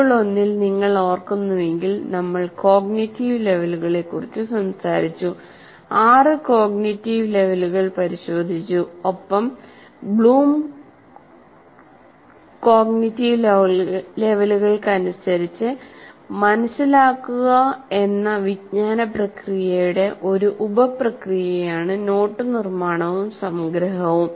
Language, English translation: Malayalam, And if you recall, in module one we looked at the cognitive activities, cognitive levels where we talked about six cognitive levels and note making and summarization is a sub process of the cognitive process, understand as per Bloom cognitive activity